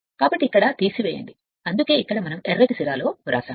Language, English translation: Telugu, So, here you subtract that is why written here in the red ink right here we are substituting